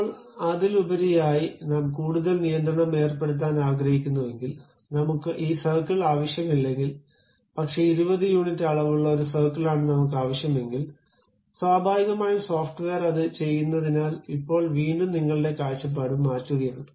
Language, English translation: Malayalam, Now, over that, you want to put additional constraint; no, no, I do not want this circle, but a circle supposed to have 20 units of dimension, then naturally the software does because now you are again changing your view